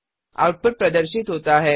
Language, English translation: Hindi, Press Enter The output is displayed